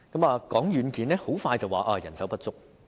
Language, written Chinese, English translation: Cantonese, 談到軟件，很快便會說到人手不足。, Speaking of software people will say right away that manpower is lacking